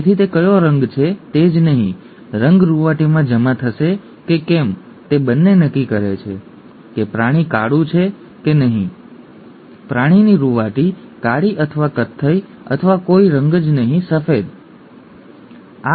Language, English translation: Gujarati, So the not only what colour it is, whether the colour will be deposited in the fur, both determine whether the animal turns out to be black, the animal fur turns out to be black or brown or no colour at all, white, maybe